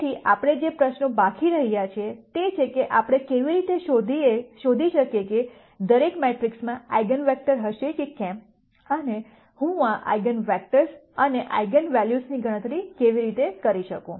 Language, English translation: Gujarati, So, the questions that we are left with, are how do we find out that every matrix, whether it would have eigenvectors and how do I compute this eigenvectors and eigenvalues